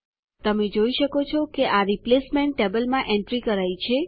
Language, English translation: Gujarati, You see that the entry is made in the replacement table